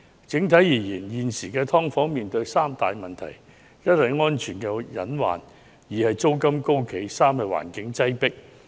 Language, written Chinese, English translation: Cantonese, 整體而言，時下"劏房"存在三大問題：一為安全隱患；二為租金高企；三為環境擠迫。, Overall there are currently three major problems with subdivided units first safety hazards; second high rental and third overcrowded living conditions